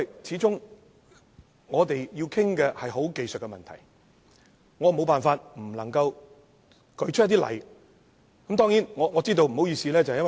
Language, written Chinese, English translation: Cantonese, 始終，我們要探討的是技術性問題，我沒辦法不舉出例子加以說明。, What we have to discuss is a technical problem after all and I have no other alternatives but to cite some examples in my explanation